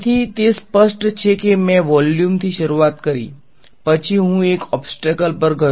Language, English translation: Gujarati, So, far it is clear I started with vacuum, then I went to an obstacle